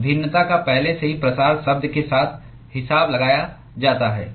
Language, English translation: Hindi, That variation is already accounted with the diffusion term